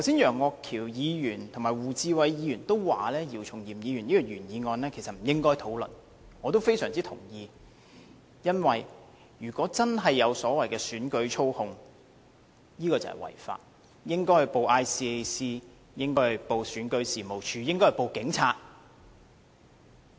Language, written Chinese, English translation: Cantonese, 楊岳橋議員和胡志偉議員剛才均表示，姚松炎議員這項原議案其實不應該討論，我也非常同意，因為如果真的有所謂的選舉操控，這便是違法，應該向香港廉政公署、選舉事務處和香港警察報案。, I strongly agree with them . It would be illegal if any manipulation of the election as they have claimed has really happened . This should have been reported to the Hong Kong Independent Commission Against Corruption the Registration and Electoral Office and the Hong Kong Police Force accordingly